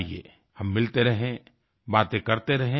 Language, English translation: Hindi, Let us keep on meeting and keep on talking